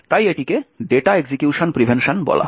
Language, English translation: Bengali, So, this is called the data execution prevention